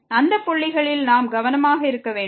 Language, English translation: Tamil, So, at those points we have to be careful